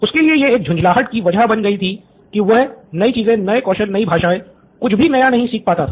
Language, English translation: Hindi, It’s an annoyance that he can’t learn new things, new skills, new languages